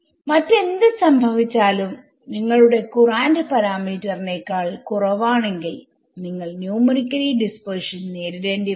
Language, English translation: Malayalam, Whatever else happens, you know that if your courant parameter is less than 1 you will phase numerical dispersion